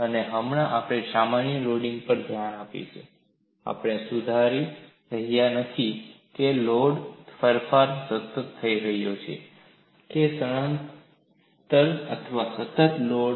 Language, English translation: Gujarati, And now, we will look at for a general loading, we are not fixing whether the load change is happening in a constant displacement or constant load